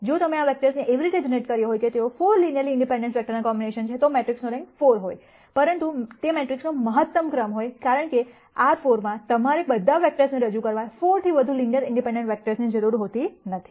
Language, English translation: Gujarati, If you had generated these vectors in such a manner, that they are linear combinations of 4 linearly independent vectors, then the rank of the matrix would have been 4, but that would be the maximum rank of the matrix, because in R 4 you would not need more than 4 linearly independent vectors to represent all the vectors